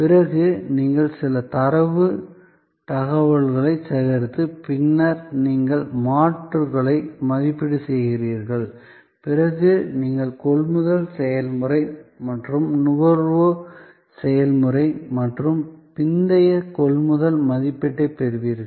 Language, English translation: Tamil, Then, you gather some data information, then you evaluate alternatives, then you have the purchase process and consumption process and post purchase evaluation